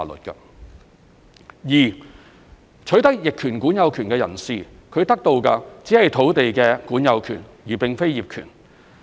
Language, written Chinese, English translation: Cantonese, 二取得逆權管有權的人士，他得到的只是土地的管有權而並非業權。, 2 An adverse possessor only obtains a possessory title but not the title to the land